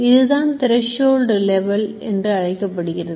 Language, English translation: Tamil, So, this is called a threshold level